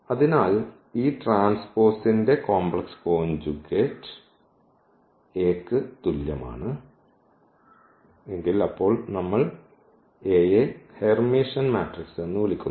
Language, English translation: Malayalam, So, this complex conjugate of this transpose is equal to A, then we call that A is Hermitian matrix